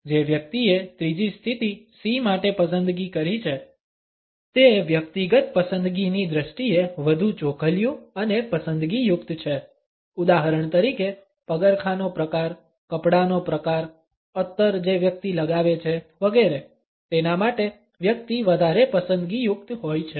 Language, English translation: Gujarati, The person who has opted for the third position C is rather picky and choosy in terms of personal choices; for example, the type of shoes, the type of clothes, the perfumes one wears etcetera the person would be rather choosy about it